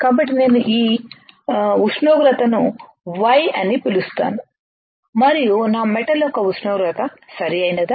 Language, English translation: Telugu, So, let us say I call this temperature Y and the temperature for my metal, right